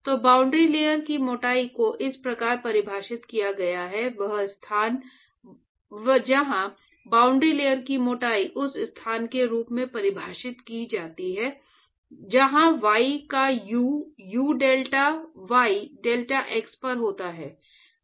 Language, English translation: Hindi, So, boundary layer thickness is defined as: the location where boundary layer thickness is defined as that location, where the u of y, u at deltay deltax